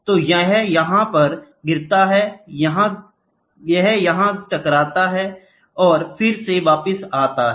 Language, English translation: Hindi, So, it falls on here it hits here, and it again comes back, ok